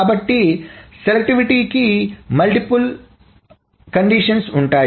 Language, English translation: Telugu, So the selectivity, so there are multiple conditions